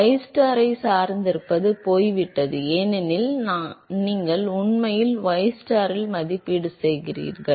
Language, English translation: Tamil, So, the dependence on ystar is gone, because you are actually evaluating at ystar equal to 0